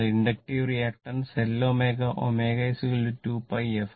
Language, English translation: Malayalam, So, inductive reactant L omega and omega is equal to 2 pi f